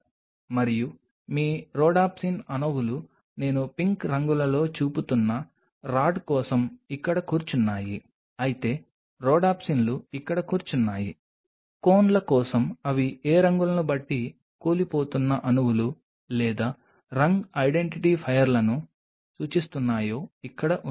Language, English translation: Telugu, And your rhodopsin’s molecules are sitting here for the rod which I am showing in pink colors the rhodopsin’s are sitting here whereas, for the cones depending on which colors they are indicating the collapsing molecules or color identifiers are sitting here